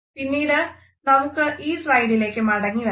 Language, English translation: Malayalam, Later on, we would refer to this slide again